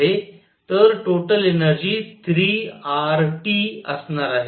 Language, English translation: Marathi, So, the total energy is going to be 3 R T